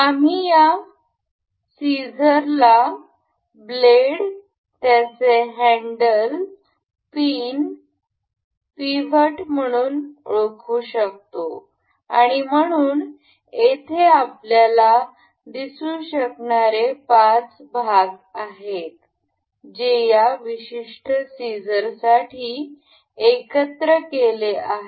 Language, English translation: Marathi, We can identify this scissor as blades, its handle, the pin, the pivot we say and so, the the there are particular there are particularly 5 parts we can see over here, that have been assembled to make this particular scissor